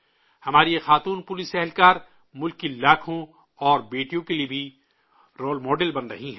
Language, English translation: Urdu, These policewomen of ours are also becoming role models for lakhs of other daughters of the country